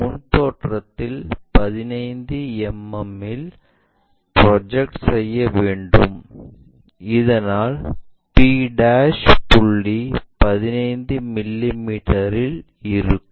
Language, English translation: Tamil, In the front view we are projecting that 15 mm, so that p' point will be at 15 mm